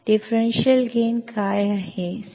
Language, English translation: Kannada, What is the differential gain